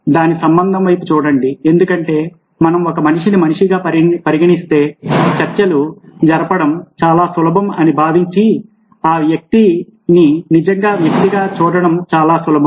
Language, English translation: Telugu, look at the relationship side of it, because if we treat a human being as a human being, then it's much easier negotiating thinks, it's much easier coming across to that person as a genuine person